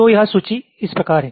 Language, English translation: Hindi, so this list is like this